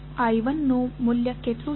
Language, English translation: Gujarati, What is the value of I 1